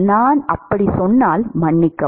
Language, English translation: Tamil, If I said that sorry